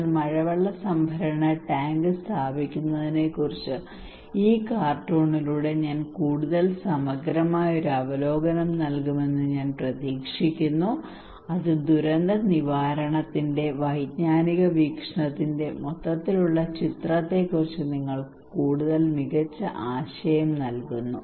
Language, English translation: Malayalam, But I hope I gave a more comprehensive overview through this cartoon on installing rainwater harvesting tank and that gives you much better idea about the overall picture of cognitive perspective of disaster preparedness